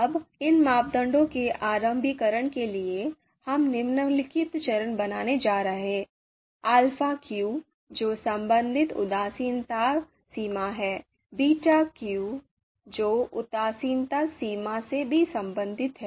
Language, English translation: Hindi, So now we have for the initialization, we are going to create these variables; alpha underscore q so this is one which is related indifference threshold, the beta underscore q which is also related to indifference threshold